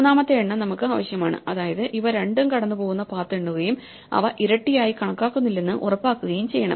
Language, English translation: Malayalam, So, we need a third count we need to count paths which pass through both of these and make sure we do not double count them